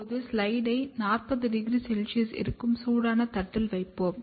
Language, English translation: Tamil, Now, we will place the slide on the hot plate which is at around 40 degree celsius